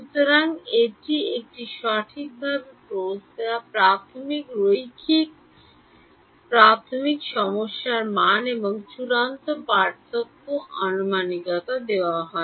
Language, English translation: Bengali, So, it is given a properly posed initial linear initial value problem and a final difference approximation